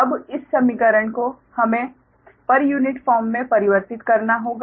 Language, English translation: Hindi, now, this equation we have to converted to per unit form, right